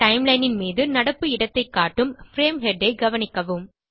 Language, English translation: Tamil, Notice the frame head which indicates the current position on the timeline